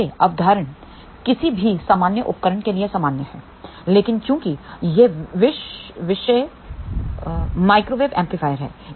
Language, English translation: Hindi, Now, this concept is common to any general device, but since this topic is microwave amplifier